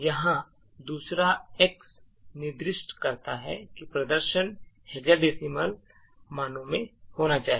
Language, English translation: Hindi, The second x over here specifies that the display should be in hexa decimal values